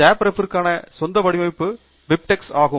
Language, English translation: Tamil, The native format for JabRef is BibTeX